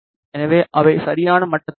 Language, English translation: Tamil, So, that they are at the exact level